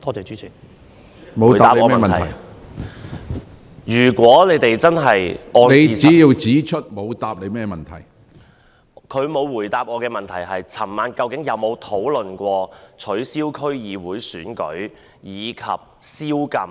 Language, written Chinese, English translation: Cantonese, 司長沒有回答我的補充質詢：他們在昨晚舉行的會議上究竟有否討論取消區議會選舉及宵禁？, The Chief Secretary has not answered my supplementary question Did they discuss the cancellation of the District Council Election and a curfew in the meeting last night?